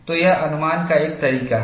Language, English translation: Hindi, So, this is one way of estimation